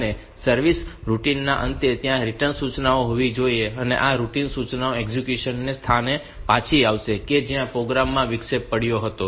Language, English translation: Gujarati, And at the end of the service routine the RET instruction should be there and this RET instruction will return the execution to the point where the program was interrupted